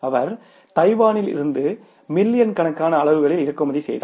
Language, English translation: Tamil, He imported in millions of units from Taiwan